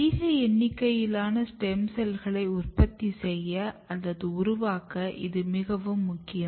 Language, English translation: Tamil, So, this is very important to produce or to generate a large number of stem cells